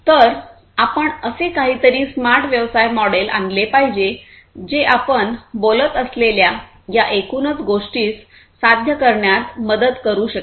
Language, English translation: Marathi, So, we need to come up with something like this; the business model, a smart business model that can help achieve this overall thing that we have talked about